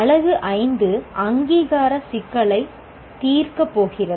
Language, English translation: Tamil, The Unit 5 is going to address the issue of accreditation